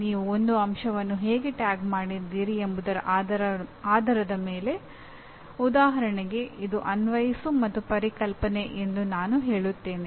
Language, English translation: Kannada, Depending on how you tagged an element, for example I say it is Apply and Conceptual